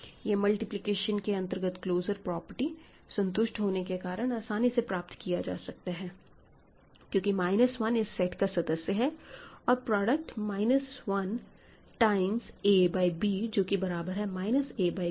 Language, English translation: Hindi, So, that is also seen by taking the, using the closer under multiplication property because minus 1 is there, the product is there minus 1 time say a by b which is minus a b is in R